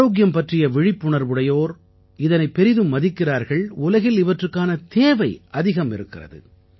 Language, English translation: Tamil, People connected to health awareness give a lot of importance to it and it has a lot of demand too in the world